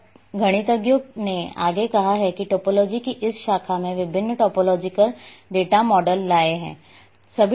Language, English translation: Hindi, Now mathematicians have further that this branch of topology they have brought different topological data models